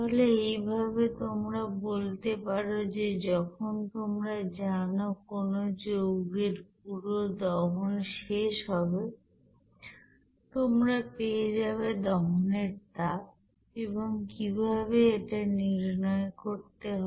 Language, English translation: Bengali, So in this way, you can say that when there will be a complete combustion of any you know compounds then you will see that what should be the heat of combustion and how to calculate there